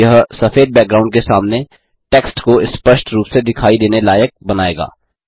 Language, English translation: Hindi, This will make the text clearly visible against the white background